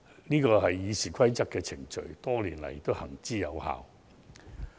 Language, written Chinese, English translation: Cantonese, 這是《議事規則》訂定的程序，多年來行之有效。, This is the procedure prescribed in the Rules of Procedure one which has proven to be effective over all these years